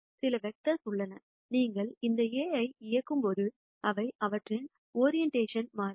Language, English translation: Tamil, Are there some directions which when you operate this A on they do not change their orientation